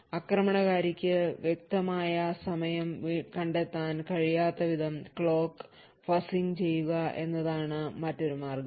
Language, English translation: Malayalam, Another countermeasure is by fuzzing clocks so that the attacker will not be able to make precise timing measurement